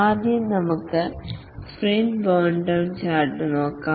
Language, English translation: Malayalam, First let's look at the sprint burn down chart